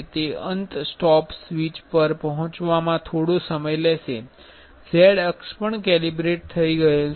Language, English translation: Gujarati, It will take some time to reach to the end stop switch; z axis also calibrated